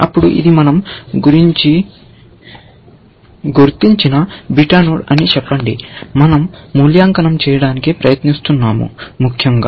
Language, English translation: Telugu, Let us say that this is a beta node that we are about, we are trying to evaluate, essentially